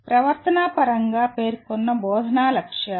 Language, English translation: Telugu, Instructional objectives stated in behavioral terms